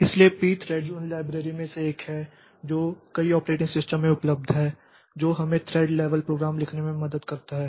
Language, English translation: Hindi, So, P Threads is one of the libraries that is available in many of the operating systems that helps us in writing thread level programs that can utilize this thread concept